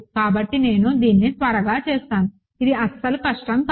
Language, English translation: Telugu, So, I will I will quickly do this it is not difficult at all